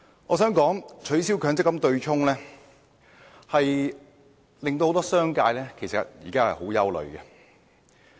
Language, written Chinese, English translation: Cantonese, 我想指出，取消強積金對沖機制會令很多商界人士十分憂慮。, I wish to point out that the abolition of the MPF offsetting mechanism will arouse grave concern among many members of the business sector